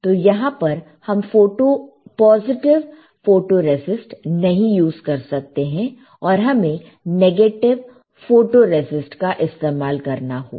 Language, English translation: Hindi, So, here we cannot use positive photoresist, we can use, we have to use negative photoresist